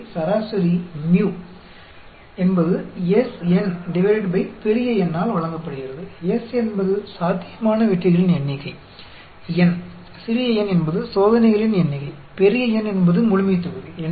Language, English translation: Tamil, Here, the mean mu is given by S n by capital N; S is the possible number of successes; n, small n is the number of trials; capital N is the population